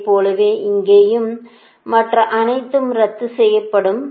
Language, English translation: Tamil, similarly, here, also right, all other things will be cancel